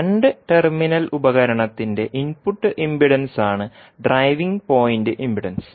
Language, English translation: Malayalam, Driving point impedance is the input impedance of two terminal device